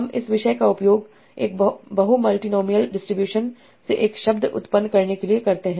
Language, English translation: Hindi, I use this topic to generate a word by sampling from its multinomial distribution